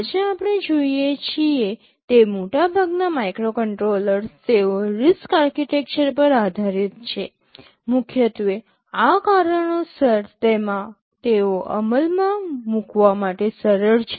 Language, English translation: Gujarati, Most of the microcontrollers that we see today they are based on the RISC architecture, because of primarily this reason, they are easy to implement